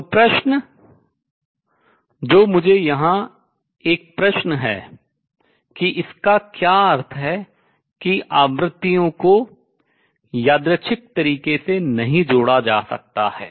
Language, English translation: Hindi, So, question so, let me there is a question here what does it mean that frequencies cannot be combined in a random manner, in other words why the combination principle